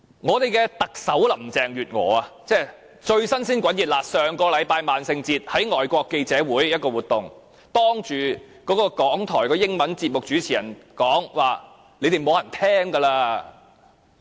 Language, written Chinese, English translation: Cantonese, 我們的特首林鄭月娥，剛剛於上星期的萬聖節，在外國記者會一場活動上，向港台的英文節目主持人指說現時已沒有人收聽他們的節目了。, When our Chief Executive Carrie LAM attended a Halloween celebration organized by the Foreign Correspondents Club last week she told the host of an English programme of RTHK that no one listened to their programmes any more